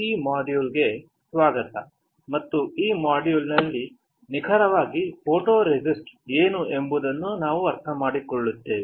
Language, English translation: Kannada, Welcome to this module and in this module, we will understand what exactly photoresist is